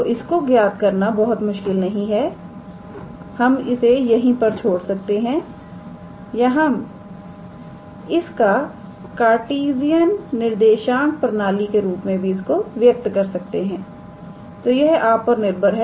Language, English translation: Hindi, So, it is really not complicated to calculate, we can leave it here or we can also express it in terms of the Cartesian coordinate system, so that is up to us, alright